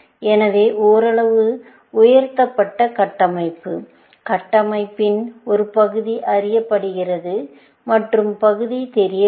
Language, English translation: Tamil, So, a partially elicited structure where, part of the structure is known, and part is not known